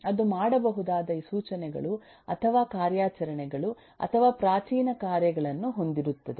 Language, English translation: Kannada, It will have instructions or operations or primitive tasks that it can do